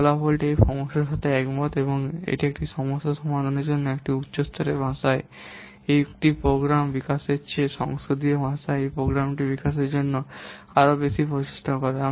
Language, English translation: Bengali, This result agrees with the fact that it makes more effort to develop a program in a similar language than to develop a program in a high level language to solve a problem